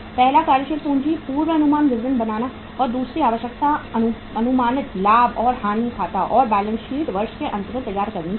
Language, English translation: Hindi, Preparation of the working capital forecast statement and second requirement is then an estimated profit and loss account and balance sheet at the end of the year also have to be prepared